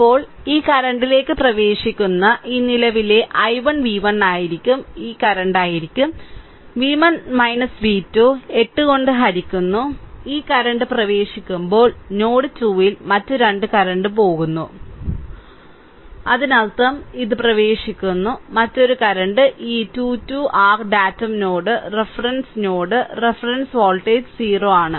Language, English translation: Malayalam, Then this current i 1 actually entering this current i 1 is actually entering this current will be v 1 minus this current will be v 1 minus v 2 ah divided by 8; this current is entering then at node 2 other 2 currents are leaving; that means, this is entering and another current this 2 2 your datum node reference node reference voltage is 0; that means, these 2 will be v 2 by 6 because this is 6 ohm right